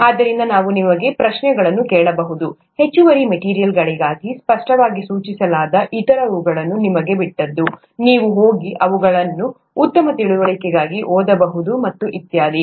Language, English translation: Kannada, We may even ask you questions from that; whereas the others that are clearly pointed out as additional material, it is upto you, you can go and read them up for better understanding and so on so forth